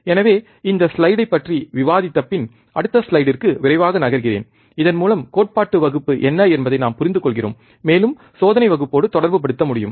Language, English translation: Tamil, So, I am just quickly moving on the to the next slide after discussing this slide so that we understand what was the theory class and we can correlate with the experimental class